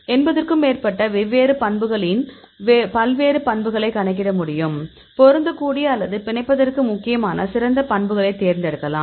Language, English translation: Tamil, So, we can calculate various properties more than 80 properties and among the different properties; we can select the best properties which can fit or which are important for binding